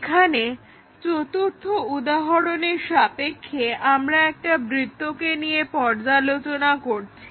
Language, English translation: Bengali, Here, as an example 4, we are looking at a circle